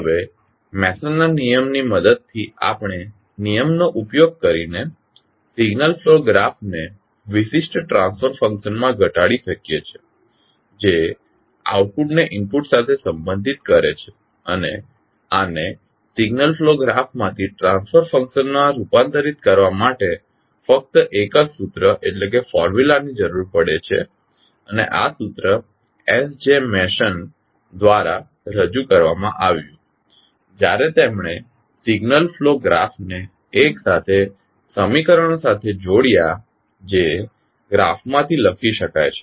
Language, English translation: Gujarati, Now with the help of Mason’s rule we can utilize the rule reduce the signal flow graph to a particular transfer function which can relate output to input and this require only one single formula to convert signal flow graph into the transfer function and this formula was derived by SJ Mason when he related the signal flow graph to the simultaneous equations that can be written from the graph